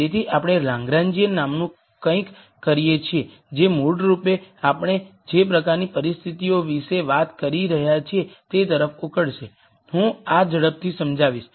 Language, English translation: Gujarati, So, we de ne something called a Lagrangian, which basically will boil down to the kind of conditions that we have been talking about I will explain this quickly